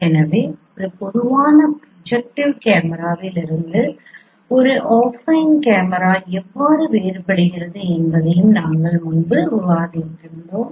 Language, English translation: Tamil, So we discussed earlier also how an affine camera differs from a general projective camera